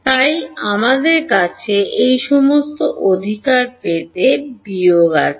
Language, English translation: Bengali, So, we have we have minus to get this all right